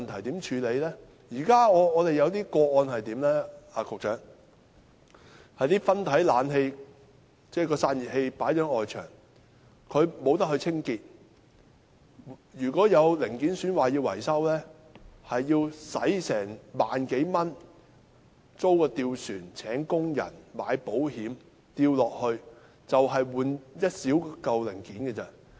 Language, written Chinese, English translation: Cantonese, 局長，在我們現時的個案中，有些分體式冷氣機的散熱器設置在外牆上，無法清潔，如果有零件損壞需要維修，便要花萬多元租一隻吊船、聘用工人及購買保險，就是為了更換一件小零件而已。, in the future are also issues to be addressed . Secretary in some of our present cases the radiators of split - type air conditioners are installed on the external walls and cannot be cleaned . If any part is damaged and needs repairs it will cost some 10,000 to rent a gondola hire workers and take out an insurance policy merely for replacing a small part